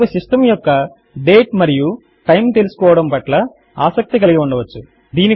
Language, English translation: Telugu, We may be interested in knowing the system date and time